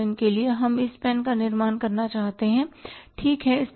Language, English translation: Hindi, For example you want to manufacture this pen, right